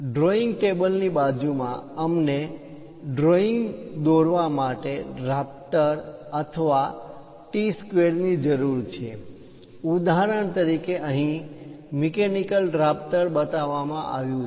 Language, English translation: Gujarati, Next to the drawing table, we require a drafter or a T square for drawing lines; for example, here, a mechanical drafter has been shown